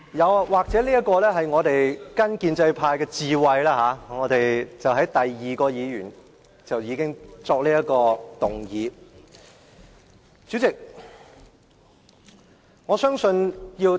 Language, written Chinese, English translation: Cantonese, 我們或許應該學習建制派的智慧，在第二位議員發言後便要動議中止待續議案。, Perhaps we should learn from the wisdom of the pro - establishment camp to propose a motion for adjournment after the second Member has spoken